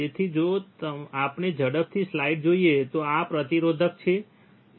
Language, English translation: Gujarati, So, if we quickly see the slide these are the resistors, isn’t it